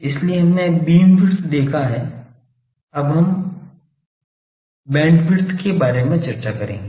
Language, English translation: Hindi, So, we have seen beamwidth now we will discuss about band bandwidth